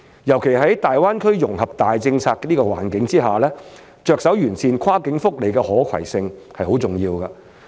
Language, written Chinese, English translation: Cantonese, 尤其在大灣區融合的大政策環境之下，着手完善跨境福利的可攜性是很重要的。, Notably against the backdrop of the dominant policy of integration into the Guangdong - Hong Kong - Macao Greater Bay Area it is important to start improving the cross - boundary portability of welfare benefits